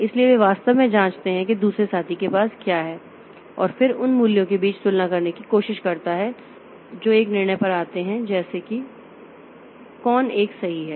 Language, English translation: Hindi, So, they actually check what other other fellow has computed and then tries to compare between those values and come to a decision like which one is correct